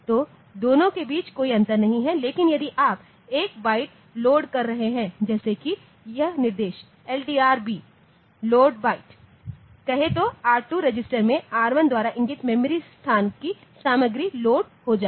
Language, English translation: Hindi, So, there is no difference between the two, but if you are doing a byte loading like say this instruction LDRB load byte then R2 register I will I will be loading the content of the memory location pointed to by R1